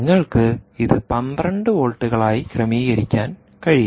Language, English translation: Malayalam, lets say, you can configure it to twelve volts, and so on and so forth